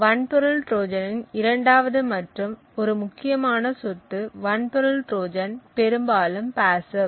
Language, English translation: Tamil, Second and an important property of a hardware Trojan is that the hardware Trojan is mostly passive